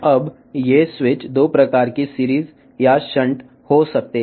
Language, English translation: Telugu, Now, these switches could be of 2 type series or the shunt